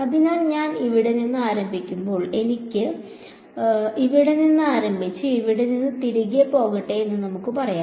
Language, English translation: Malayalam, So, when I start from let us say let me start from this point over here and work my way all the way back over here